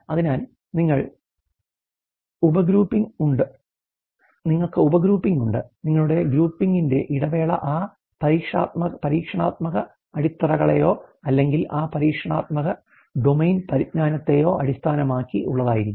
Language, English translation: Malayalam, And so, you have sub grouping and your interval of the grouping will be based on that experiential bases or that experiential domain knowledge